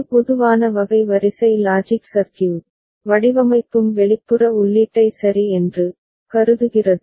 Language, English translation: Tamil, A general type of Sequential Logic Circuit Design will also consider an external input ok